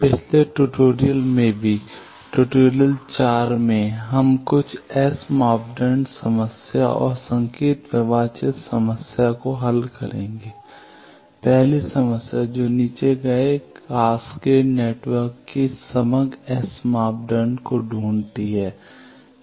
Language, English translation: Hindi, In the last tutorial also; tutorial 4 we will solve some S parameter problem and signal flow graph problem, the first problem that find the overall S parameter of the cascaded network given below